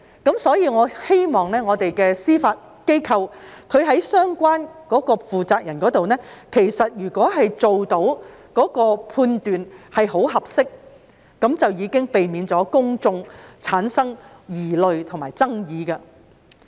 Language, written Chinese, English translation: Cantonese, 因此，我希望司法機構相關負責人能作出很合適的判斷，這樣便可避免公眾產生疑慮及爭議。, Hence I hope the persons - in - charge of the judiciary will make a proper judgment as this will avoid public doubts and controversies